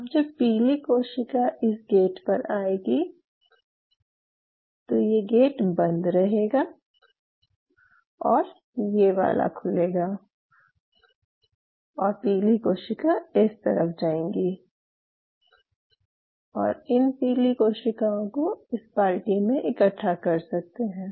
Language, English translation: Hindi, Now yellow cell coming this gate will remain closed this will open and the yellow cell will move here and you can collect all the yellow cells in your bucket